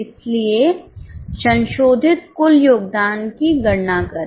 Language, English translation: Hindi, So, compute the revised total contribution